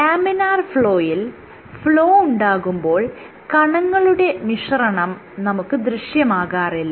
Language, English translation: Malayalam, In laminar flow when you have flow there is no mixing